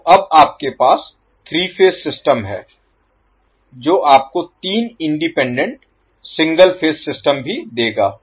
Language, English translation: Hindi, So, now, you will have 3 phase system which will give you also 3 independent single phase systems